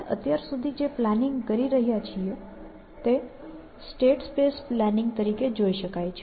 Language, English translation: Gujarati, So, the planning that we have been doing so far can be seen as a state space planning